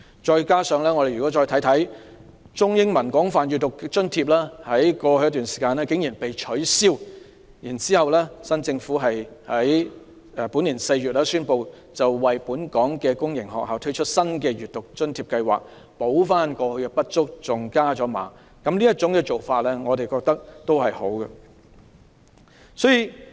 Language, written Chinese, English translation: Cantonese, 再者，中、英文廣泛閱讀計劃津貼在過去一段時間竟然被取消，現屆政府在本年4月宣布為本港公營學校推出新的推廣閱讀津貼，彌補過去的不足，甚至把津貼加碼，這種做法也是好的。, Moreover the Chinese Extensive Reading Scheme Grant and the English Extensive Reading Scheme Grant were abolished for a while . In April this year this Government announced the launch of a new and enhanced Promotion of Reading Grant for all public sector schools to make up for the insufficient support in this regard